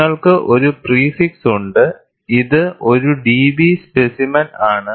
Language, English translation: Malayalam, And you have a prefix; it is a contoured DB specimen